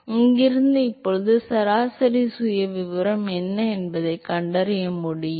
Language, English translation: Tamil, So, from here now we should be able to find out what is the average profile